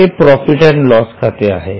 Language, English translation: Marathi, This is the profit and loss account